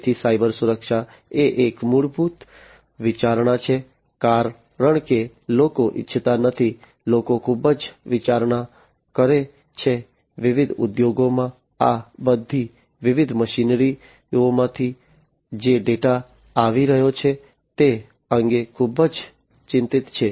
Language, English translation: Gujarati, So, cyber security is a very prime fundamental consideration, because people do not want to, people are very much considered, you know very much concerned that the data that are coming from all these different machinery in their different industries